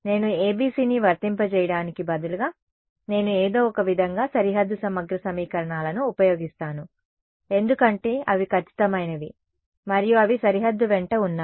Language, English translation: Telugu, Is the part which instead of applying a ABC I apply, I somehow use the boundary integral equations, because they are exact and they are along the boundary